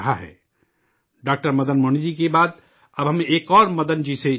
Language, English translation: Urdu, Madan ji, we now join another Madan ji